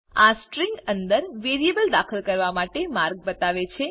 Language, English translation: Gujarati, This shows a way of inserting a variable within a string